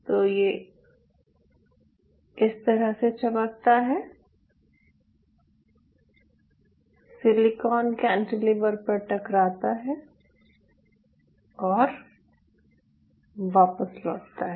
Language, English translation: Hindi, so this is how your shining: it hits on that silicon cantilever and it bounces back